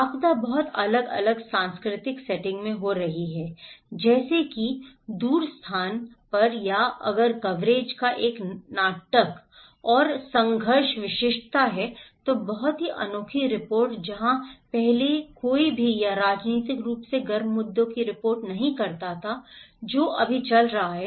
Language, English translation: Hindi, The disaster is happening in an very different cultural settings in it faraway place or if there is a drama and conflict exclusiveness of coverage, very unique report where no one reported before or politically hot issues which is going on right now